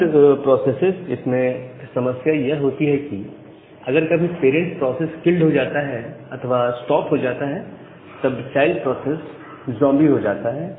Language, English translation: Hindi, So, child processes has always a problem that if you are if sometime the parent process get killed or the parent process stops, then the child process become zombie